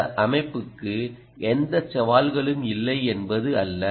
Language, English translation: Tamil, it isn't that this system has no challenges